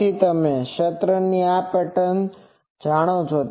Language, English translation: Gujarati, So, you know the field this pattern